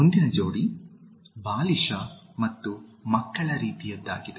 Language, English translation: Kannada, The next pair is childish and childlike